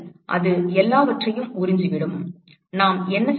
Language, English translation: Tamil, It absorbs everything so, what do we do